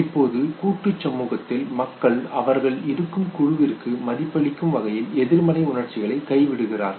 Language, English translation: Tamil, Now in collectivist society people forgo negative emotions in order to support group standards okay